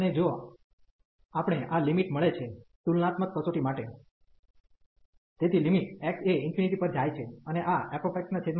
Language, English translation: Gujarati, And if we get this limit for the comparison test, so the limit x goes to infinity